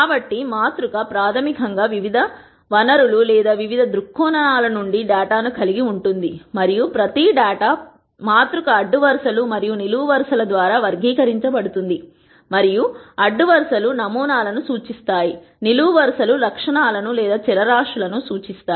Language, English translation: Telugu, So, the matrix basically could have data from various different sources or various different viewpoints and each data matrix is characterized by rows and columns and the rows represent samples and the columns represents attributes or variables